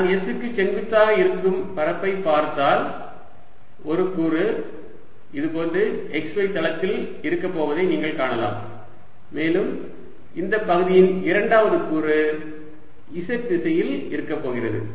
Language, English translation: Tamil, if i am looking at area perpendicular to s, you can see one element is going to be in the x y plane, like this, and the second element of this area is going to be in the z direction